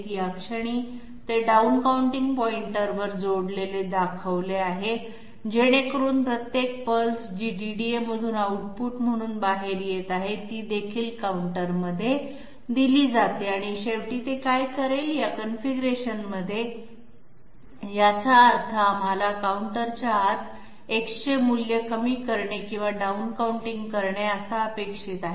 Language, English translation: Marathi, At this moment it is shown to be connected at the down counting point so that each and every pulse which is coming out as an output from the DDA, that is also fed into the counter and eventually what it will do is, in this configuration we have meant it to be down counting or decrementing the value X inside the counter